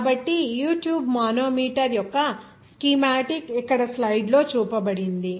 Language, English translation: Telugu, So, the schematic of the U tube manometer is shown here in the slides